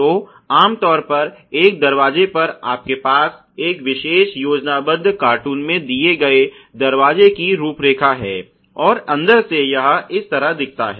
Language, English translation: Hindi, So, typically on a door you have the outline of the door given in this particular schematic cartoon and from the inside it looks like this ok